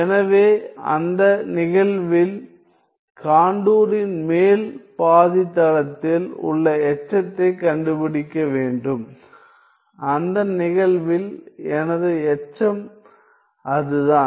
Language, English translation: Tamil, So, in that case I have to find residue at the upper half plane the upper half plane of the contour and in that case my residue is that